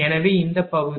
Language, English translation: Tamil, So, this part